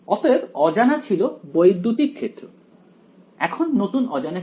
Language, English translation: Bengali, So, the unknown was electric field now the new unknown is